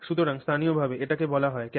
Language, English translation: Bengali, So, locally this is called cavitation